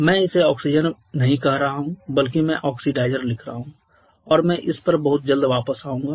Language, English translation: Hindi, I am not calling it oxygen rather I am writing oxidizer I shall be coming back to that very soon